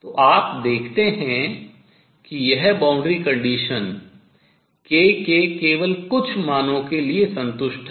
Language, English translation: Hindi, So, you see this boundary conditions satisfied only for the certain values of k and this is Eigen value of k